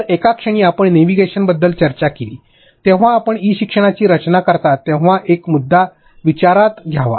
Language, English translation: Marathi, So, at one point you discussed about navigation as one of the point that we have to consider when you are designing e learning